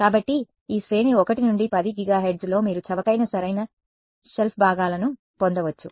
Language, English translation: Telugu, So, in this range 1 to 10 gigahertz you can get off the shelf components that are inexpensive right